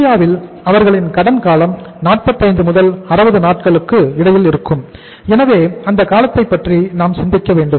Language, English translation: Tamil, In India their credit period ranges between 45 to 60 days so we uh have to think about that period